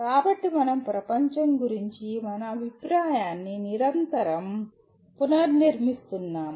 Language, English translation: Telugu, So we are continuously reconstructing our view of the world